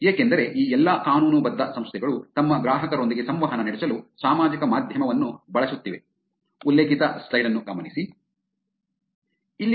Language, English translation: Kannada, Because all of these legitimate organizations are actually using social media to interact with their customers